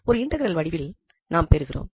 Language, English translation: Tamil, So, we have an integral of this form